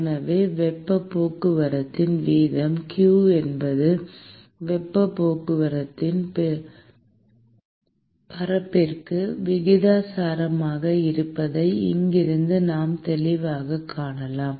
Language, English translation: Tamil, So, from here we can clearly see that we can see that the heat transport rate q is essentially, proportional to the area of heat transport